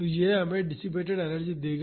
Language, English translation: Hindi, So, that will give us the energy dissipated